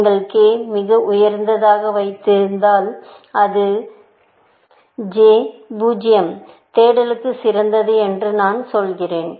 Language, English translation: Tamil, If you put k as very high, which I am also saying, that j is 0, there is like best for search